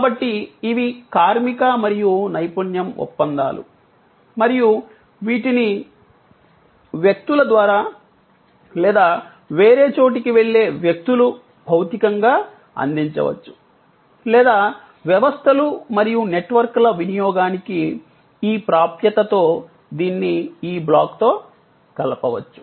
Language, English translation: Telugu, So, these are labor and expertise contracts and these can be physically provided by people going elsewhere through people or it could be combined with this block with this access to and usage of systems and networks